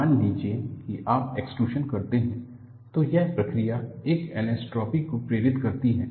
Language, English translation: Hindi, Suppose you do an extrusion, it induces an anisotropy, because of the process